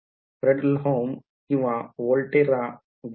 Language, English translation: Marathi, So, does it look like a Fredholm or Volterra